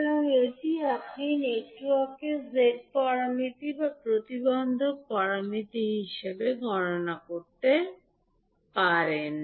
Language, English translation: Bengali, So, this you can calculate the Z parameters or impedance parameters of the network